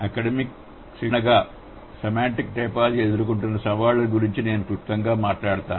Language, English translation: Telugu, I would just briefly talk about what are the challenges that semantic typology as an academic discipline faces